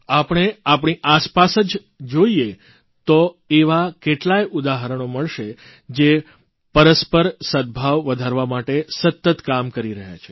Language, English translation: Gujarati, If we look around us, we will find many examples of individuals who have been working ceaselessly to foster communal harmony